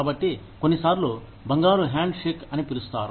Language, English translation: Telugu, So, sometimes referred to as, the golden handshake